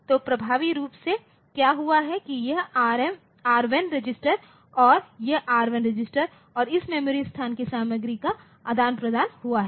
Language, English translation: Hindi, So, what has happened effectively is that this R1 register and this R1 register and this memory location content they have got exchanged